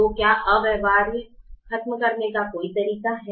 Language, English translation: Hindi, so is there a way to eliminate infeasible solutions